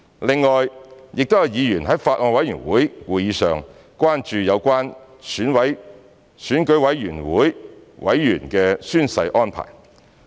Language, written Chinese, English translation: Cantonese, 另外，亦有議員在法案委員會會議上關注有關選舉委員會委員的宣誓安排。, Furthermore some Members expressed concern at a meeting of the Bills Committee about the oath - taking arrangements for Election Committee members